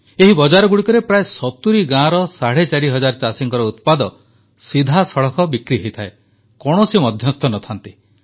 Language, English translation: Odia, In these markets, the produce of about four and a half thousand farmers, of nearly 70 villages, is sold directly without any middleman